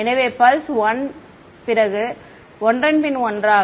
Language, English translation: Tamil, So, 1 pulse after the other